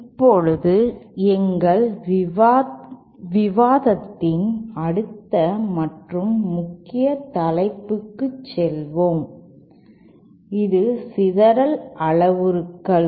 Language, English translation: Tamil, Let us now go to the next and main topic of our discussion here which is the scattering parameters